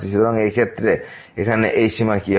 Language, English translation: Bengali, So, in this case what will be this limit here